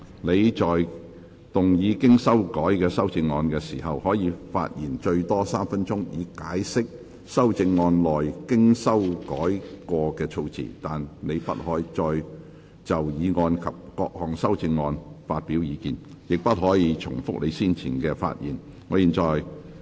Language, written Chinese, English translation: Cantonese, 你在動議經修改的修正案時，可發言最多3分鐘，以解釋修正案內經修改過的措辭，但你不可再就議案及各項修正案發表意見，亦不可重複你先前的發言。, When moving your revised amendment you may speak for up to three minutes to explain the revised terms in your amendment but you may not express further views on the motion and the amendments nor may you repeat what you have already covered in your earlier speech